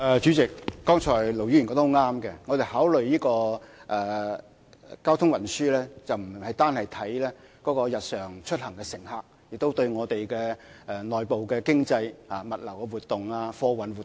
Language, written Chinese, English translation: Cantonese, 主席，剛才盧議員說得很正確，我們考慮交通運輸的時候，不只看日常出行乘客，亦要關注我們的內部經濟、物流活動及貨運活動。, President Ir Dr LO was right in saying that in considering transport we do not just look at daily commuters but also pay attention to our internal economy logistics activities and freight activities